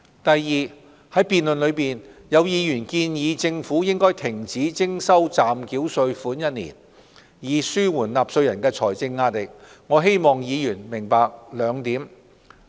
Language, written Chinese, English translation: Cantonese, 第二，在辯論中，有議員建議政府停止徵收暫繳稅款1年，以紓緩納稅人的財政壓力，我希望議員明白兩點。, Second during the debate some Honourable Members suggested the Government to suspend levying the provisional tax for a year to ease taxpayers financial burden . I hope Members can understand two points